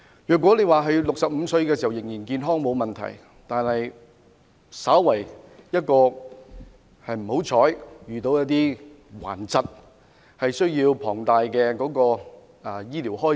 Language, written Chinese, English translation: Cantonese, 如果在65歲時仍然健康便沒有問題，但萬一不幸患上頑疾，便要應付龐大的醫療開支。, It will be fine if we stay healthy at the age of 65 but we would have to cope with huge medical expenses in case we contracted serious illnesses